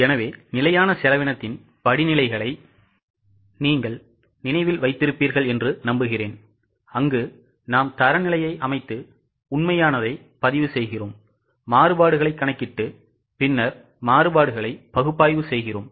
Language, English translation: Tamil, So, I hope you remember the steps in standard costing where we set the standard record actuals, calculate variances and then analyze the variances